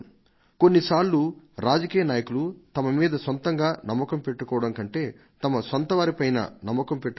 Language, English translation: Telugu, At times we political leaders should trust our people more than we trust ourselves